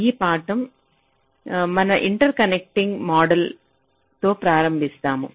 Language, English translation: Telugu, we start with the lecture on interconnecting modeling